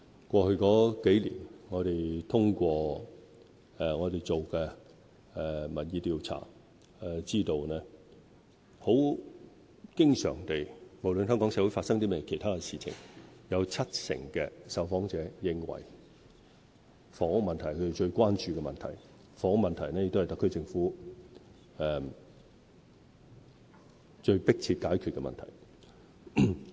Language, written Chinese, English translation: Cantonese, 過去數年，我們通過所做的民意調查得知，無論香港社會發生甚麼其他事情，經常有七成受訪者認為房屋問題是他們最關注的問題，而房屋問題亦是特區政府最迫切要解決的問題。, In the past few years we learnt from opinion surveys that no matter what happened in Hong Kong very often 70 % of the respondents considered that housing was their prime concern . Housing is also the most pressing problem to be resolved by the SAR Government